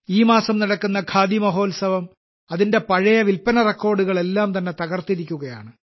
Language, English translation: Malayalam, The ongoing Khadi Mahotsav this month has broken all its previous sales records